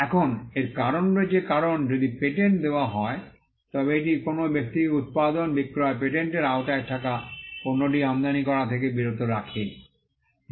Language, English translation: Bengali, Now, there is a reason for this because, if a patent is granted, it stops a person from using manufacturing, selling, importing the product that is covered by the patent